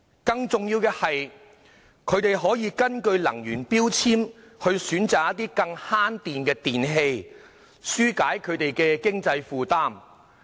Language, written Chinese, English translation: Cantonese, 更重要的是，消費者可根據能源標籤選擇更節電的電器，紓解經濟負擔。, More importantly consumers financial burden can be relieved by choosing appliances which are more energy efficient according to the energy labels